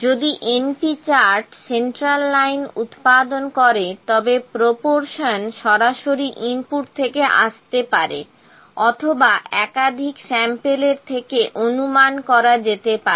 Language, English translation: Bengali, If np chart produce the central line proportion maybe input directly, or it may be estimated from the series of samples